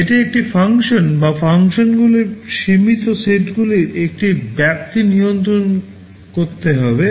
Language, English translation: Bengali, It should control a function or a range of limited set of functions